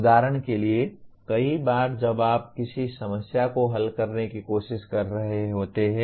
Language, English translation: Hindi, For example many times when you are trying to solve a problem